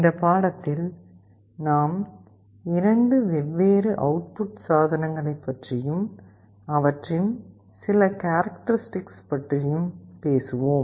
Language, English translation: Tamil, In this lecture we shall be talking about 2 different output devices, some of their characteristics